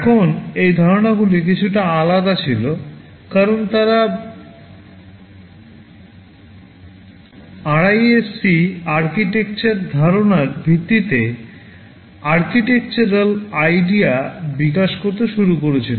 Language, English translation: Bengali, Now these ideas were little different because they started to develop the architectural ideas based on the reduced instruction set concept, RISC architecture concept ok